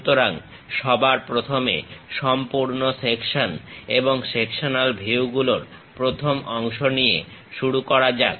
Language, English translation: Bengali, So, let us first begin the first part on full section and half sectional views